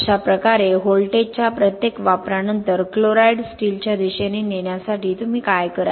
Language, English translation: Marathi, So like this after every application of voltage to drive the chloride towards the steel what you will do is